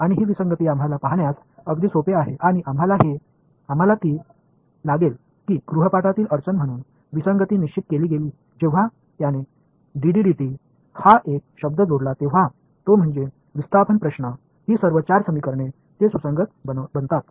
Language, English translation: Marathi, And that inconsistency actually is simple enough for us to see and we will have that as a problem in the homework, that inconsistency is fixed was fixed by him when he added this one term is, d D by dt the displacement conundrum, when he adds this term to it all of these 4 equations they become consistent